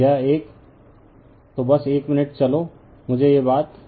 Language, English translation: Hindi, So, this one, so just 1 minute, let me this thing right